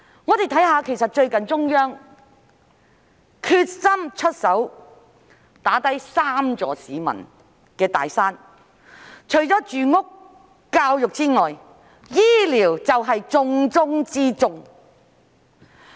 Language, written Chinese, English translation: Cantonese, 我們看看，最近中央決心出手打低三座市民面對的"大山"，除住屋和教育之外，醫療便是重中之重。, As we can see the Central Authorities have recently been determined to bring down the three big mountains faced by the public . Apart from housing and education healthcare is the top priority